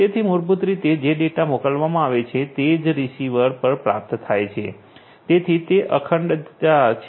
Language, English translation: Gujarati, So, basically the data that are sent are exactly received in the same way at the receiver right; so, that is integrity